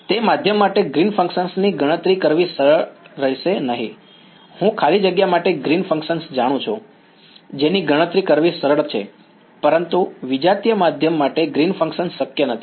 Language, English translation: Gujarati, Green’s function for that medium will not be easy to calculate, I know Green’s function for free space that is easy to calculate, but Green’s function for a heterogeneous medium is not possible